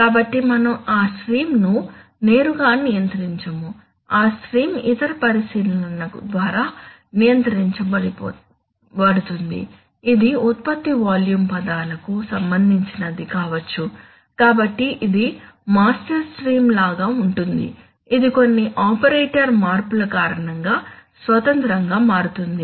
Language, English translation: Telugu, So we do not directly control that stream, that stream is controlled by other considerations may be from production volume words but so it is like a master stream which changes independently because of some operator change etc